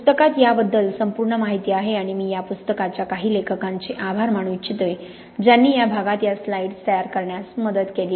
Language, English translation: Marathi, There is whole chapter on this in the book and I would like to thank the, some of the authors of the book who helped prepare these slides in this part here